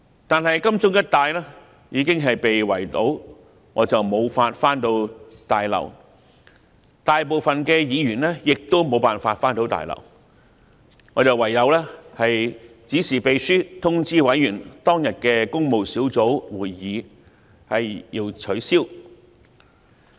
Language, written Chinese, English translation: Cantonese, 但是，金鐘一帶已經被圍堵，我無法返回大樓，大部分議員亦都無法返回大樓，我唯有指示秘書通知委員，當天的工務小組委員會會議需要取消。, However roads in the vicinity of Admiralty were blocked and I could not go inside the Complex . As the majority of members of PWSC faced the same problem I had no other choice but to instruct the clerk to inform PWSC members that the meeting would be cancelled that day